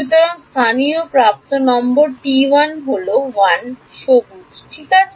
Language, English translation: Bengali, So, the local edge number is T is 1 in green right